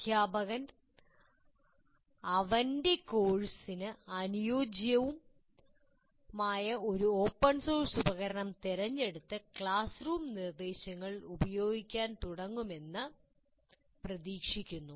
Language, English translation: Malayalam, So hopefully the teachers would select an open source tool appropriate to his course and start using in your classroom instruction